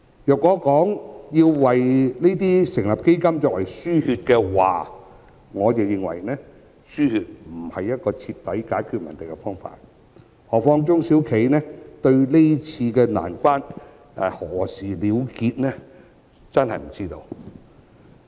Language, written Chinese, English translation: Cantonese, 若說要為此成立基金以作"輸血"，我認為"輸血"不是徹底解決問題的方法，何況中小企根本不知道今次難關何時結束。, Even if a fund was established to undergo a blood transfusion for this I think the problems cannot be resolved at root by means of a blood transfusion